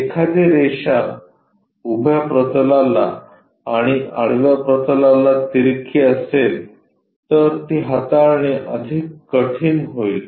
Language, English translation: Marathi, Let us look at if a line is inclined to both vertical plane and horizontal plane, that will be more difficult problem to handle